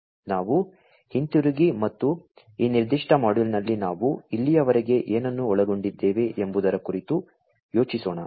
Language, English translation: Kannada, So, let us go back and think about what we have covered so, far in this particular module